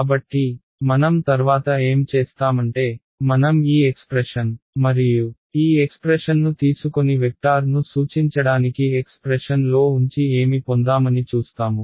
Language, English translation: Telugu, So, what do I do next is I am going to take this expression and this expression and put it into the expression for pointing vector and we will see what we get